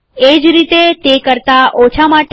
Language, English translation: Gujarati, Similarly for less than